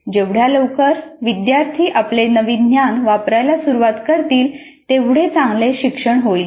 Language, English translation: Marathi, The more quickly learners begin to engage with the problem using their newly acquired knowledge the better will be the learning